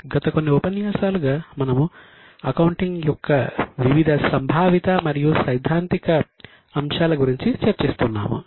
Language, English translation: Telugu, Namaste In last few sessions we have been discussing about various conceptual and theoretical aspects